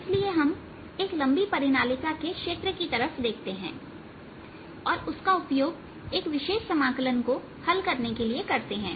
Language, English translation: Hindi, so we are looking at the field of a long solenoid and use that to calculate a particular integral